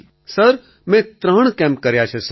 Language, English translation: Gujarati, Sir, I have done 3 camps